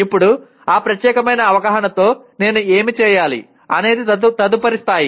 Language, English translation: Telugu, Now what do I do with that particular awareness is the next level